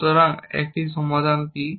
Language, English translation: Bengali, So, what is a solution